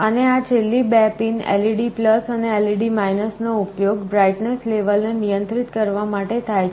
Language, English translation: Gujarati, And the last 2 pins this LED+ and LED , these are used to control the brightness level